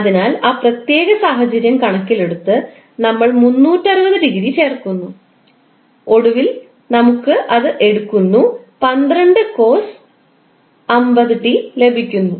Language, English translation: Malayalam, So we are taking that particular establishment into the consideration and we are adding 360 degree and finally we get 12 cost 50 t plus 260